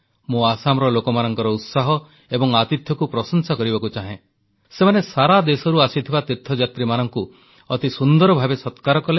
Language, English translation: Odia, Here I would like to appreciate the warmth and hospitality of the people of Assam, who acted as wonderful hosts for pilgrims from all over the country